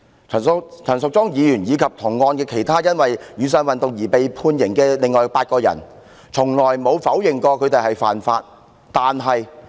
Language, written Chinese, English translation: Cantonese, 可是，陳淑莊議員及同案其他被判刑的另外8人，從來沒有否認曾犯法。, However Ms Tanya CHAN and the other eight persons who were convicted in the same case have not denied that they committed offence